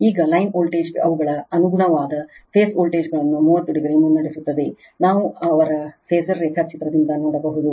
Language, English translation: Kannada, Now, line voltage is lead their corresponding phase voltages by 30 degree that also we can see from their phasor diagram right